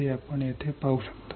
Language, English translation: Marathi, This is what you can see here